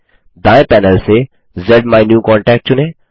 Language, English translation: Hindi, From the right panel, lets select ZMyNewContact